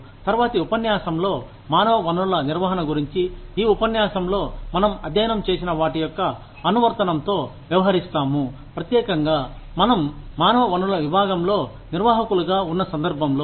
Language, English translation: Telugu, In the next lecture, we will deal with, the application of whatever, we have studied in this lecture, in human resources management, specifically in the context of, us being managers, in the human resources department